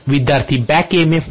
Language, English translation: Marathi, Because of the back emf